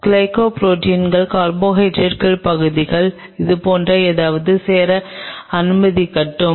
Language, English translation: Tamil, Suppose let it join the carbohydrate part of the glycoprotein something like this